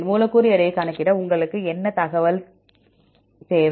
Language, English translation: Tamil, What all information do you need to calculate the molecular weight